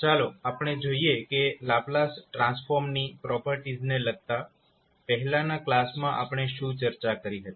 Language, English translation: Gujarati, So let’s see what we discuss in the previous class related to properties of the Laplace transform